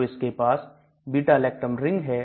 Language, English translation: Hindi, So it has got this beta lactam ring